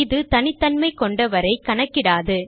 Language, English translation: Tamil, It wont count unique visitors